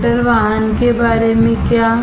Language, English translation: Hindi, What about automotive